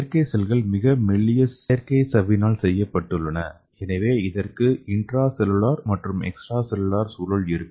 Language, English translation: Tamil, So these artificial cells are made up of ultra thin artificial membrane so it is having intracellular as well as extracellular environment